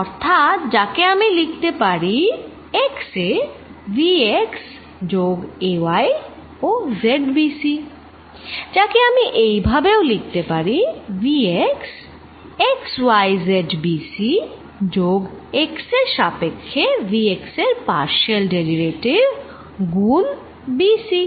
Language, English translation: Bengali, So, which I can write as v x at x plus a y and z b c, which I can further write as vx x y z b c plus partial derivative of v x with respect to x b c